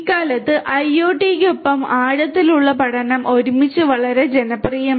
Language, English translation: Malayalam, Nowadays, deep learning along with IoT has become very popular together